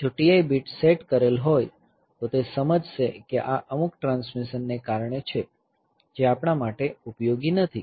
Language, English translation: Gujarati, If T I bit is set then it will understand that this is due to some transmission which is not useful for us